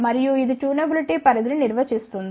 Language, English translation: Telugu, And, it defines the tunability range